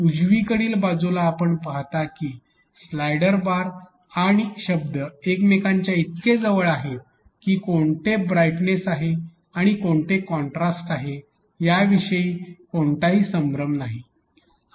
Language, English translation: Marathi, As against on the right hand side you see that the slider bar and the content is so nearer to each other that people have no confusion about like which is the one for brightness and which is the one for contrast